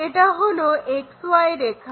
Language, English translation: Bengali, This is the XY line